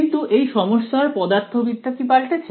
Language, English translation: Bengali, But has the physics of the problem changed